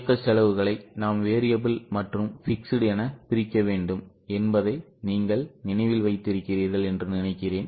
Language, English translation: Tamil, I think you remember that we need to break down the operating expenses into variable and fixed